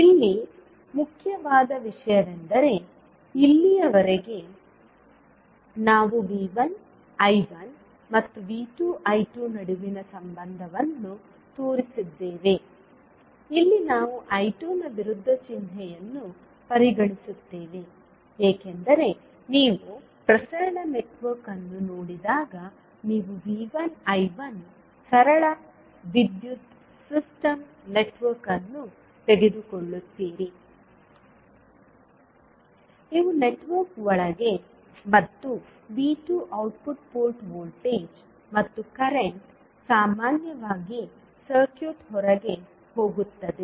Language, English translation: Kannada, So here the important thing is that till now we shown the relationship between V 1 I 1 and V 2 I 2, here we are considering the opposite sign of I 2 because when you see the transmission network you take the simple power system network where the V 1 I 1 is inside the network and V 2 is the output port voltage and current generally goes out of the circuit